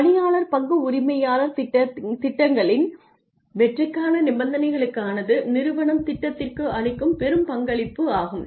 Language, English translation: Tamil, The conditions for success of employee stock ownership programs are large contributions by the company to the plan